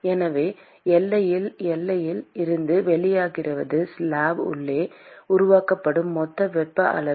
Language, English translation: Tamil, So, at the boundary, what comes out of the boundary is the total amount of heat that is generated inside the slab